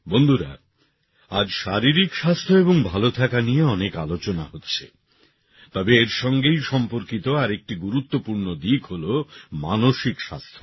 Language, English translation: Bengali, Friends, today there is a lot of discussion about physical health and wellbeing, but another important aspect related to it is that of mental health